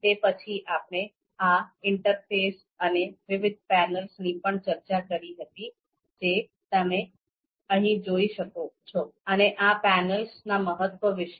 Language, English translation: Gujarati, Then, we also talked about this interface and different panels that you can see here and the importance of these panels